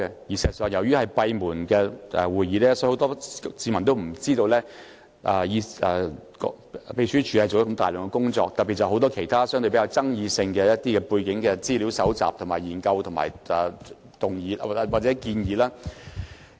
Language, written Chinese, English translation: Cantonese, 事實上，由於委員會的會議是閉門進行的，所以很多市民都不知道，秘書處做了大量工作，特別是就很多相對比較具爭議性的議題進行背景資料搜集、研究及提出建議。, In fact since meetings of CRoP are held in private many members of the public may not know that the Secretariat has done a lot of work in particular it has conducted background research and studies and made proposals on many controversial issues